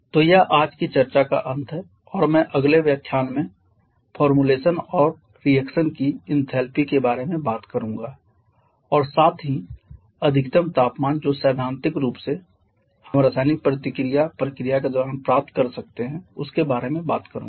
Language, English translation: Hindi, so that is the end of today's discussion in the next lecture I shall be talking about the enthalpy of formation and enthalpy of reaction and also the maximum temperature that theoretical we can achieve during a chemical reaction process